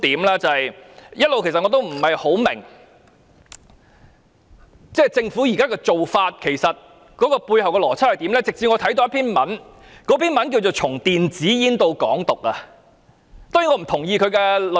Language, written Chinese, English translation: Cantonese, 一直以來，我也不大明白政府現時的做法背後有甚麼邏輯，直至我看到名為"從電子煙到港獨"的文章。, I have all along failed to figure out the logic behind the Governments present approach it was not until I read an article entitled From e - cigarettes to Hong Kong independence that I have an idea